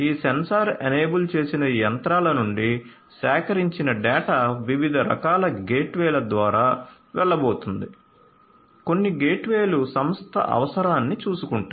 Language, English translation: Telugu, So, the data that are collected from these sensor enabled machinery are going to go through different types of gateways; different types of gateways, some gateways will take care of the enterprise requirement